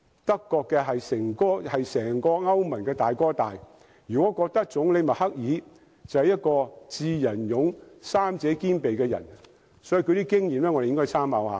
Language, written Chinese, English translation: Cantonese, 德國是整個歐盟的"大哥大"，我們如果覺得總理默克爾是一個"智、仁、勇"三者兼備的人，便應該好好參考德國的經驗。, Germany is the leading economy in the European Union and if we consider Chancellor Angela MERKEL a person with all the virtues of being wise benevolent and courageous we should make good reference to Germanys experience